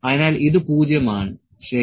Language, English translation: Malayalam, So, it is 0, ok